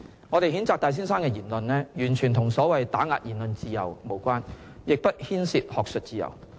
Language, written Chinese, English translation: Cantonese, 我們譴責戴先生的言論，完全與所謂打壓言論自由無關，亦不牽涉學術自由。, Our condemnation of Mr TAIs remarks has nothing whatsoever to do with the so - called suppression of freedom of speech nor does it involve academic freedom